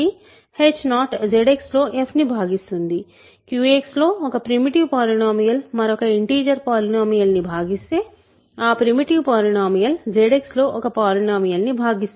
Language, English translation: Telugu, So, h 0 divides f in Z X itself, right; if a primitive polynomial divides another integer polynomial in Q X that primitive polynomial divides a polynomial in Z X